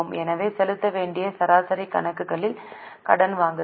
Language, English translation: Tamil, So, credit purchase upon average accounts payable